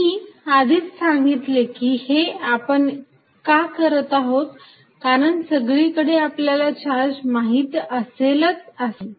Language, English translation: Marathi, Now, I already said why do we want to do that is, that not necessarily every time I will be knowing what the charge is somewhere